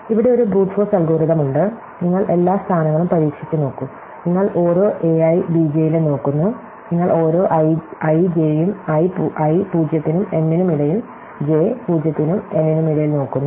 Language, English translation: Malayalam, So, here is a Brute force algorithm, you just try out every position, you look at every a i and b j, so you look at every i and j, i between 0 and m and j between 0 and n